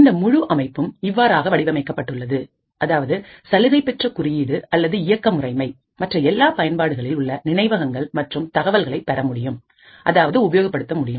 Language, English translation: Tamil, Now the entire system is designed in such a way So, that the privileged code or operating system is able to access the memory and data of all other applications